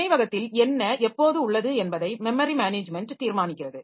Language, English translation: Tamil, Memory management determines what is in memory and when